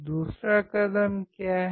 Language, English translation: Hindi, What is the second step